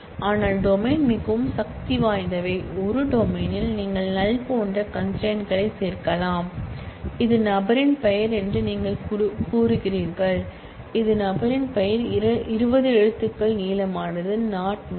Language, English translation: Tamil, But domains are more powerful in the sense that, in a domain, you can also add constraints like not null and you say that this is person name, say that this once you have set that this person name is 20 characters long and it cannot be null then you do not specifically have to every time